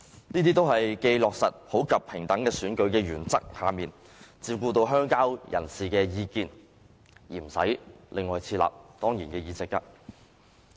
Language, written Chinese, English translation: Cantonese, 這些做法均既在普及平等選舉的原則下，照顧到鄉郊人士的意見，而又不用另外設立當然議席。, Such a practice caters for the views of rural people under the principle of equal and popular elections without the need for ex - officio seats